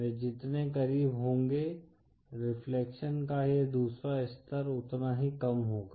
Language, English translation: Hindi, The closer they are, the lesser will this second level of reflection